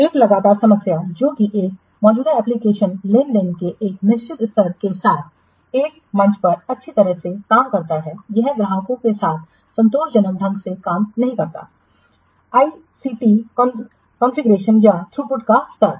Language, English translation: Hindi, A frequent problem is that while an existing application works well on one platform with a certain level of transactions, it does not work satisfactorily with the customer's ICT contribution or level of throughput